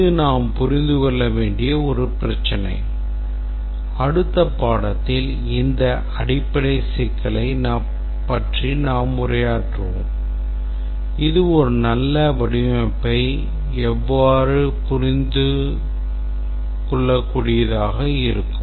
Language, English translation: Tamil, This is a issue which has some details that we must understand and in the next lecture we will address this very basic issue that how does one come up with a design that will have good understandability